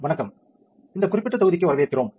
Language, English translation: Tamil, Hi, welcome to this particular module